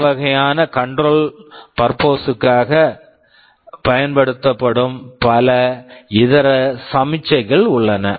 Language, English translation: Tamil, There are many such miscellaneous signals that are used for control purposes